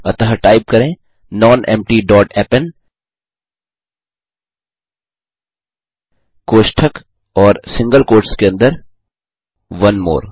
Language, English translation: Hindi, So type nonempty dot append within brackets and single quotes onemore